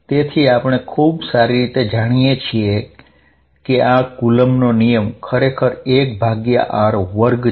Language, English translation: Gujarati, So, we know very well that this coulomb's law is really 1 over r square